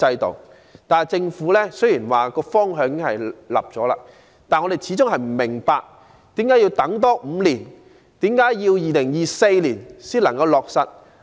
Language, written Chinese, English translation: Cantonese, 雖然政府已訂立方向，但我們始終不明白為何要多等5年，在2024年才能落實。, Although the Government has decided to do so we still do not understand why we must wait for another five years for it to take place that is implementation in 2024